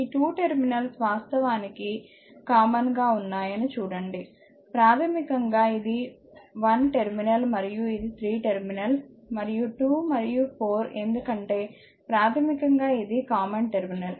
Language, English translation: Telugu, Look into that these 2 terminals actually is common, basically this is one terminal and this is another terminal and 2 and 4 because basically it is a common terminal